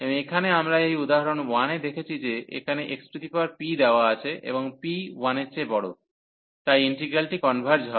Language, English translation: Bengali, And here we have seen in this example 1 that here given x power p and p is greater than 1, so that integral converges